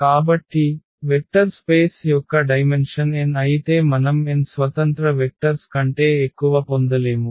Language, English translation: Telugu, So, for a vector space whose dimension is n we cannot get more than n linearly independent vectors